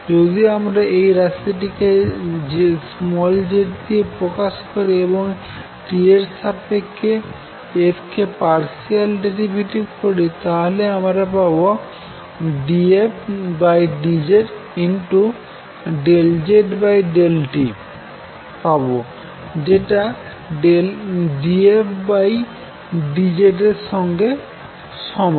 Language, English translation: Bengali, So, if I take call this quantity z and take partial derivative of f with respect to t, I am going to get d f d z times partial z over partiality t which is same as d f d z